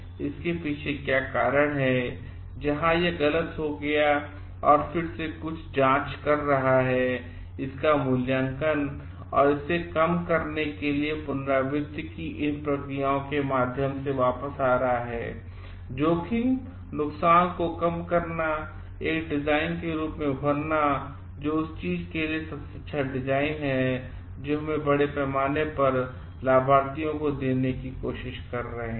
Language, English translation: Hindi, What is the reason behind it, where it went wrong and again doing some recheck, revaluating of it and coming back through these processes of iteration to reduce the risk, reduce the harm and emerge as a design which comes up to be the best design for the thing that we are trying to give to the beneficiaries in a large scale